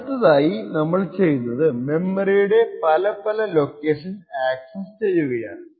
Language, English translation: Malayalam, The next thing we do is create memory accesses to various locations